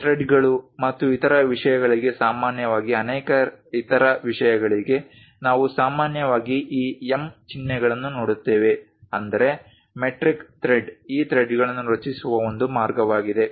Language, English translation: Kannada, Many other things like typically for threads and other things, we usually see these symbols M; that means, metric thread one way of creating these threads